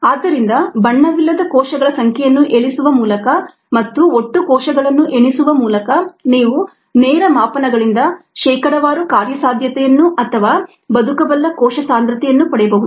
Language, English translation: Kannada, so by counting the number of cells that are not coloured and by counting total of cells you can have percentage viablity or the viable cell concentration it'self from direct measurements